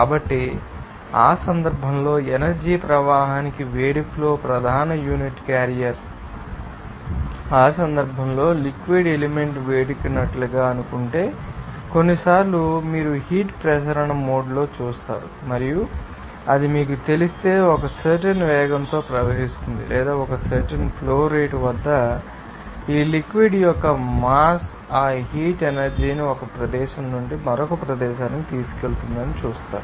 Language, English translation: Telugu, So, in that case the flow of heat is the main unit carrier for the transporting of energy In that case, sometimes you will see in the convective mode if suppose fluid element if it is heated and if it is you know flowing with a certain velocity or at a certain flow rate, you will see that the mass of this fluid will be you know carrying that heat energy from one location to another location